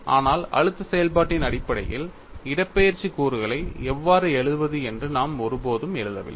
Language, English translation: Tamil, But we never wrote how to write the displacement components in terms of stress function that is the difference